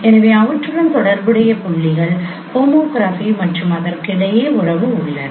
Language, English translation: Tamil, So they are corresponding points there is a relationship of homography among themselves